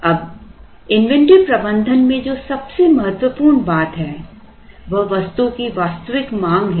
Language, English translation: Hindi, Now, the important thing that drives the inventory management is the actual demand for the item